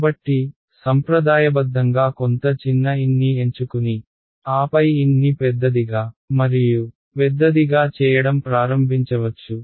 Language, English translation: Telugu, So, you might start out conservatively choose some small n and then start making n larger and larger right